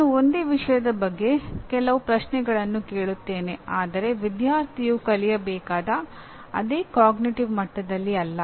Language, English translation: Kannada, I ask some questions about the same topic but not at the level, cognitive level that a student is required to learn